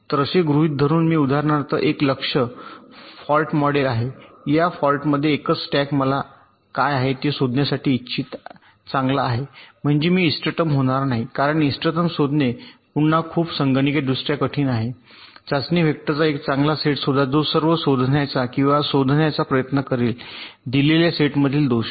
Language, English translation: Marathi, so, assuming that i have ah target for model, for example the single stack at fault, i want to find out what is the good ok, i means i will not so optimum, because finding the optimum is again very computationally difficult find a good set of test vectors that will try to find out or detect all the faults from the given set